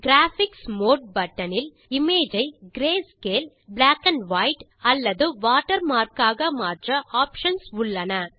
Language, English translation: Tamil, The Graphics mode button has options to change the image into grayscale, black and white or as a watermark